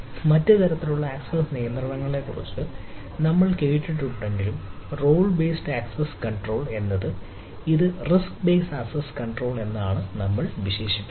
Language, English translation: Malayalam, so though we have heard about other type of access control, i role based access control